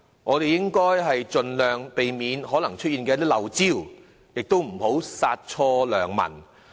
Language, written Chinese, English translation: Cantonese, 我們應該盡量避免可能出現的"漏招"，亦不要殺錯良民。, What we should do is to avoid any possible omission as far as practicable and ensure that no one will be unnecessarily caught by such measures